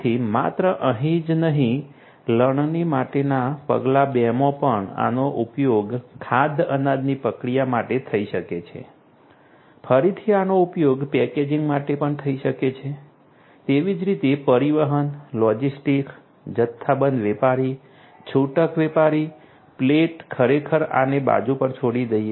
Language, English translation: Gujarati, So, not only over here if in step 2 for harvesting also these could be used for food grain processing, again these could be used, for packaging likewise transportation, logistics, wholesaler, retailer, plate not plate actually I mean as let us leave this aside